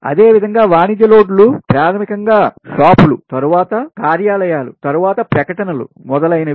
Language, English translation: Telugu, similarly, commercial loads, basically lighting for shops, then offices, then advertisements, ah, etc